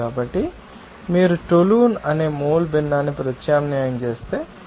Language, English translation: Telugu, So, if you substitute that mole fraction of being toluene that is 0